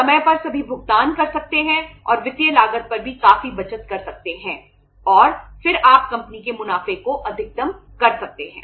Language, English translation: Hindi, Make all the payments on time and save upon significantly save upon the financial cost also and then you can maximize the profits of the company